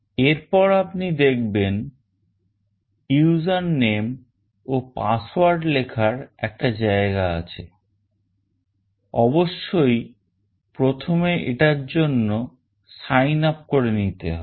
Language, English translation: Bengali, org Then you see that there is a place for user name and password; of course, you have to first signup to do this